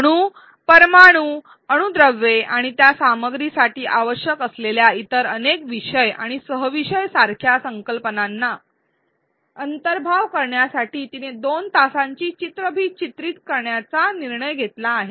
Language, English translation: Marathi, She decides to record a two hour long video to cover concepts like atoms ions molecules atomic mass and many other topics and subtopics which are required for that content